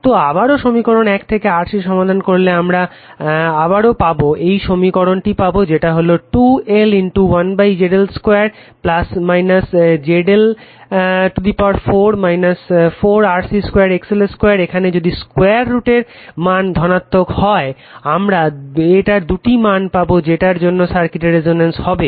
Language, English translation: Bengali, So, again from equation one you solve for c you will get another expression 2L into 1 upon ZL square plus minus ZL 4 minus 4 RC square XL square if the square root term is positive right, you will get two values of it for which circuit will circuit will resonant right